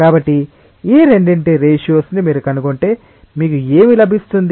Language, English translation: Telugu, So, if you find out the ratio of these two what you will get